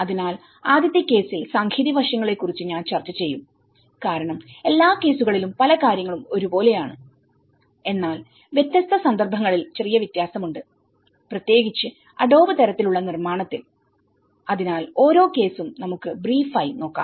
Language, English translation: Malayalam, So, I’ll discuss about the technological aspects in the first case and then in because many of the things are common in all the cases but there is a slight variance in different cases especially with the adobe type of construction, so I will just briefly go through each and every case